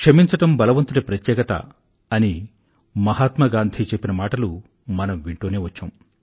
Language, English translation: Telugu, And Mahatma Gandhi always said, that forgiveness is the quality of great men